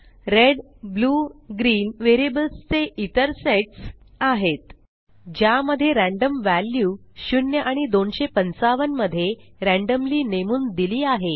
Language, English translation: Marathi, $red, $blue, $green are another set of variables to which random values between 0 and 255 are assigned randomly